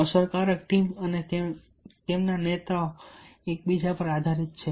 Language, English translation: Gujarati, effective team and their leaders are there for interdependent